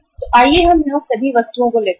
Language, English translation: Hindi, So let us take all the items here